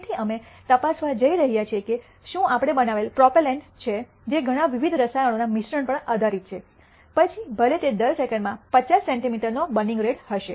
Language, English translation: Gujarati, So, we are going to check whether the propellant we are made, which is based on mixing a lot of different chemicals, whether it will have a burning rate of 50 centimeter per second